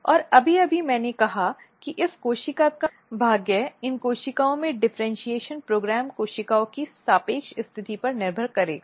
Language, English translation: Hindi, And just now I said that the fate of this cells the differentiation program in this cells will depends on the relative position of the cells